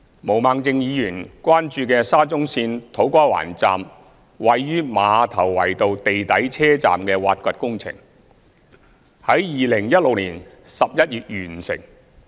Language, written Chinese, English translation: Cantonese, 毛孟靜議員關注的沙中線土瓜灣站位於馬頭圍道地底車站的挖掘工程，於2016年11月完成。, The excavation works of the SCL To Kwa Wan Station located under ground at Ma Tau Wai Road which is the object of Ms Claudia MOs concern was completed in November 2016